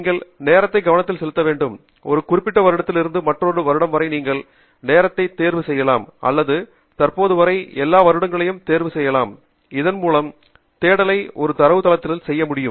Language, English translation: Tamil, you should also pay attention to this time span and you can choose a time span either from a particular year to another year or you can choose all years till the present, so that the search be done across the entire database